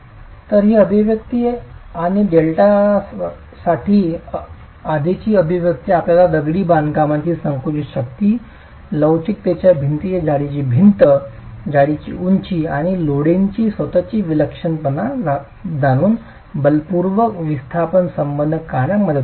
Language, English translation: Marathi, So this expression and the earlier expression for delta can help you draw a force displacement relationship knowing the compressive strength of the masonry, height of the wall, thickness of the wall, models of elasticity, and the eccentricity of the loading itself